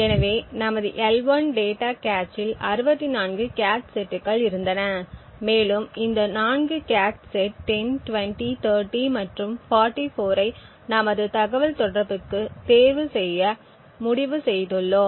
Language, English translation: Tamil, So, there were 64 cache sets in our L1 data cache and we have decided to choose these 4 cache sets, cache set 10, 20, 30 and 44 for our communication